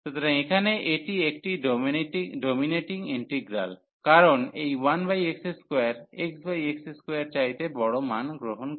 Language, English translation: Bengali, So, here this is a dominating integral, because this 1 over x square is taking larger values then the sin square x over x square